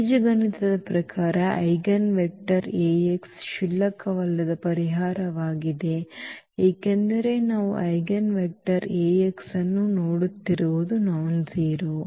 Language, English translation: Kannada, Algebraically, an eigenvector x is a non trivial solution because we are looking for the eigenvector x which is nonzero